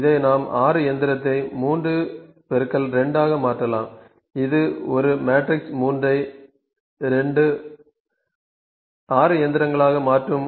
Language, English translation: Tamil, If we make it 6 machine 3 into 2 , 3 into 2 it will make a matrix 3 into 2, 6 machines